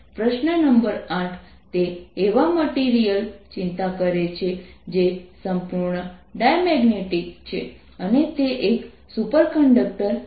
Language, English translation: Gujarati, question number eight: it concerns a material which is a perfect diamagnetic and that is a superconductor